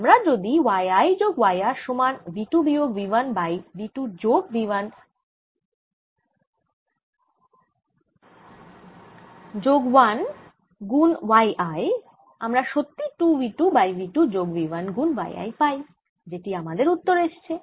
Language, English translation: Bengali, if i take y i plus y r, which is equal to v two minus v one over v two plus v one plus one y i, this indeed gives me two v two over v two plus v one, which is my answer here